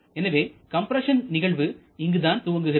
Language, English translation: Tamil, So, the compression stroke is spanning over this